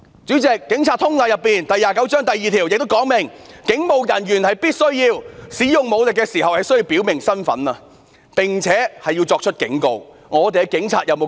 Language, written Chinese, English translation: Cantonese, 主席，《警察通例》第29章第2條亦訂明，"警務人員使用武力時必須表明身份，並且要作出警告"。, President PGO 29 - 02 provides that police officers shall identify themselves and give warnings before using forces